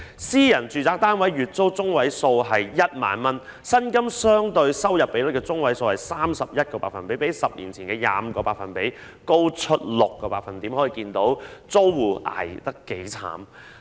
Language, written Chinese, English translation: Cantonese, 私人住宅單位的月租中位數為 10,000 元，而租金相對收入比率的中位數為 31%， 較10年前的 25% 高出 6%， 可見租戶捱得有多苦。, The median monthly rental payment of private residential flats was 10,000 while the median rent to income ratio was 31 % which was 6 % higher than the 25 % recorded a decade ago showing how hard life is for tenants